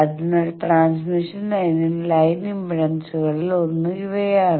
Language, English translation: Malayalam, So in the transmission line one of the line impedance is these